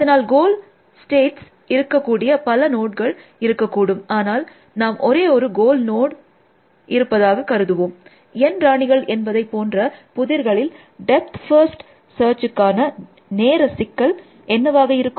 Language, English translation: Tamil, So, they would be many nodes which are the goal states, let us assume that there is only one goal node, in some problem which is similar to N queens, what would be the time complexity of depth first search